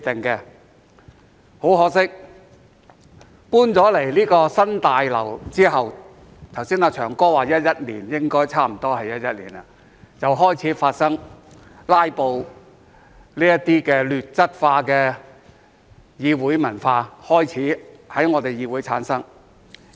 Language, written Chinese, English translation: Cantonese, 很可惜，搬進新大樓後——"祥哥"剛才說是2011年，應該也是2011年——"拉布"這些劣質化的議會文化開始在本議會產生。, Unfortunately after moving into the new Complex―Mr LEUNG Che - cheung just said it was 2011 and I also think it should be 2011―the ugly culture of filibustering began to emerge in this Council